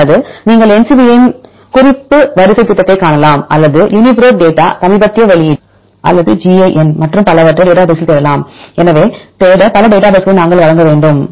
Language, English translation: Tamil, Or you can see the NCBI’s reference sequence project, or you can use the uniprot data latest release or any data in the Uniprot database right